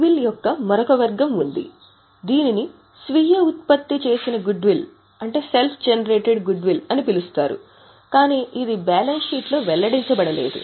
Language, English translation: Telugu, There is another category of goodwill which is known as self generated goodwill but it is not disclosed in the balance sheet